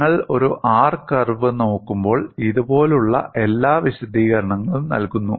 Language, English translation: Malayalam, When you look at an R curve, like this that provides you all the necessary explanation